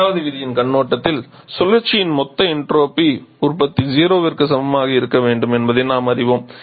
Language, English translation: Tamil, From second point of view we know that total entropy generation over the cycle has to be greater than equal to zero